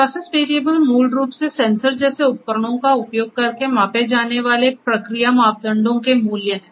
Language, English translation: Hindi, Process variable are basically the values of the process parameters measured using devices such as sensors